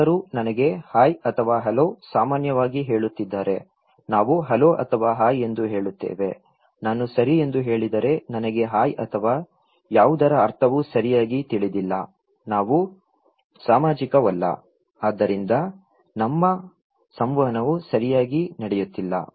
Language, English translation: Kannada, If somebody is saying to me, hi or hello generally, we say hello are hi, if I say okay I don't know the meaning of hi or anything well, we are not social right, so our interaction is not going on well